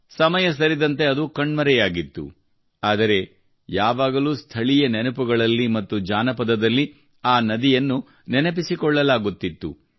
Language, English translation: Kannada, As time went by, she disappeared, but was always remembered in local memories and folklore